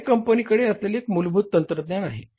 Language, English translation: Marathi, That's the basic technology with the company